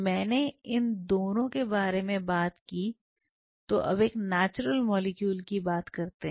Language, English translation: Hindi, I have talked about these 2 now let us talk about a natural molecule